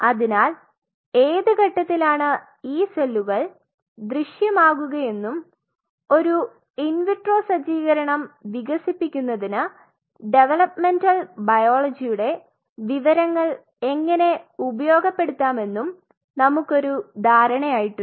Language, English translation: Malayalam, So, we have an idea that at what point these cells will appear and how that information of developmental biology could be exploited to develop an in vitro setup